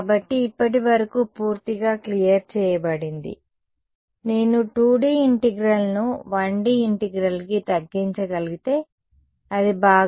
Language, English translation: Telugu, So, totally cleared so far; can I make some other simplifying assumption to because if I can reduce a 2D integral to a 1D integral, it would be even nice a right hm